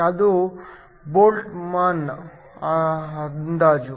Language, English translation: Kannada, This is a Boltzmann approximation